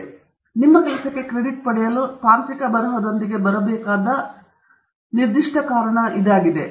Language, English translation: Kannada, So, that is the important reason for this to get credit for your work and that is the particular reason why you should be coming up with technical writing